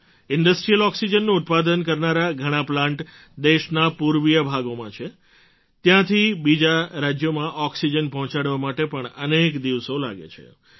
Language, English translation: Gujarati, Many plants manufacturing industrial oxygen are located in the eastern parts of the country…transporting oxygen from there to other states of the country requires many days